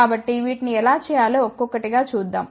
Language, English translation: Telugu, So, we will see one by one how to do these things